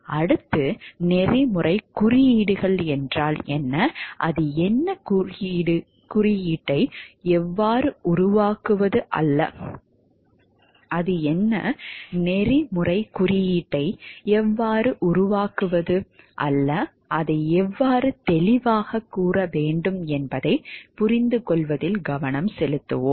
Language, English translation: Tamil, Next, we will focus into understanding what is codes of ethics, what it is, what it is not how to develop the code of ethics, how it should be stated clearly